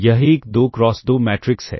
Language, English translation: Hindi, This is a 2 cross 2 matrix